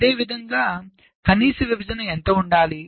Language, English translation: Telugu, so what should be the minimum separation